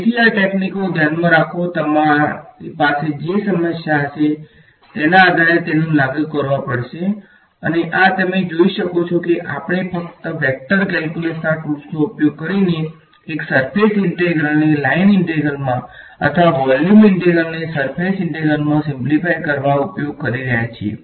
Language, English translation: Gujarati, So, keep these techniques in mind you will have to apply them depending on the problem at hand and these like you can see we are just using the tools of vector calculus to simplify a surface integral into a line integral or a volume integral into a surface integral that is the basic idea over here ok